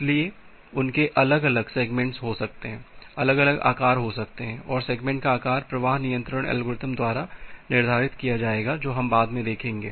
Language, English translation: Hindi, So, they have different segments may have different size and the size of the segment will be determined by the flow control algorithm that we’ll see later on